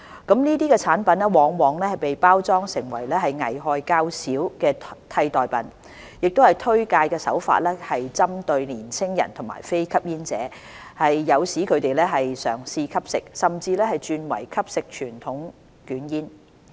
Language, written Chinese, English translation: Cantonese, 這些產品往往被包裝成危害較少的替代品；推介手法更針對年青人和非吸煙者，誘使他們嘗試吸食，甚至轉為吸食傳統捲煙。, Often packaged as less harmful substitutes with promotion tactics targeted at youngsters and non - smokers these products open a gateway to the eventual consumption of conventional cigarettes